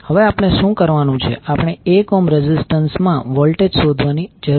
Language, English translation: Gujarati, Now, what we have to do, we need to find out the voltage across 1 ohm resistance